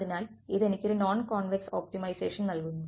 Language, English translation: Malayalam, So, this gives me a non convex optimization